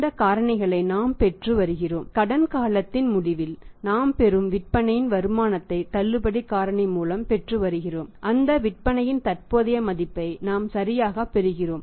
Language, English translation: Tamil, We are getting these factors and multiplying the sales proceeds we are receiving at the end of the credit period with the discount factor we are getting the present value of those sales we are receiving right